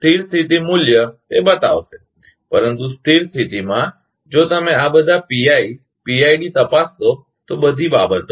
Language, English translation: Gujarati, Steady state value, it will so, but at a steady state, if you check for all this PIPID, all these things